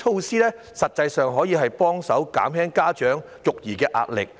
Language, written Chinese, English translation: Cantonese, 上述措施可減輕家長實際的育兒壓力。, The aforesaid initiatives can help ease parents pressure of child - raising